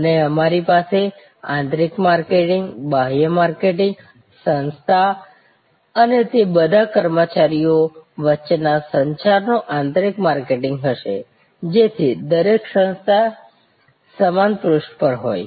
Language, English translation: Gujarati, And we will have internal marketing, external marketing, internal marketing of communication between the organization and all it is employees, so that every bodies on the same page